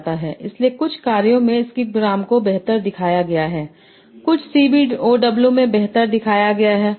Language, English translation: Hindi, So, in some task skipgram has shown to be better and some other CBOW has shown to be better